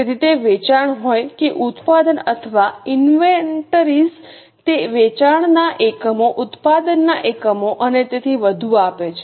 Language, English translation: Gujarati, So, whether it is sales or production or inventories, it gives the units of sales, units of production, and so on